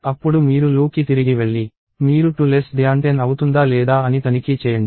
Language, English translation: Telugu, Then you go back to the loop, you check whether 2 is less than 10